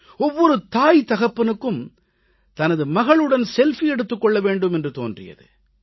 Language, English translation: Tamil, Every parent started feeling that they should take a selfie with their daughter